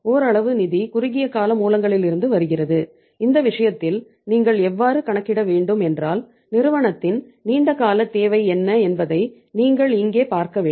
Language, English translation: Tamil, Partly the funds are coming from the short term sources and in this case how you have to work out is that you have to see here that what is the long term requirement of the company